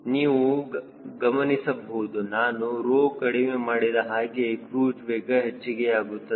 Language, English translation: Kannada, you could see that if i reduce rho, cruise speed will increase